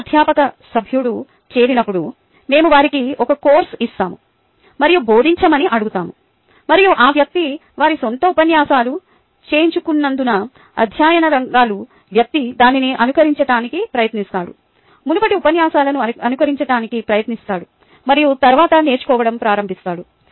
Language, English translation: Telugu, really, when a new faculty member joins, we give them a course and ask them to teach and since the person has undergone lectures earlier in their own ah fields of study, the person tries to amend it, imitate the earlier lectures to begin with and then starts learning